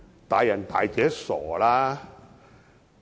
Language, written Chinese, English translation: Cantonese, "大人大姐"，別傻了。, We are grown - ups . Dont be silly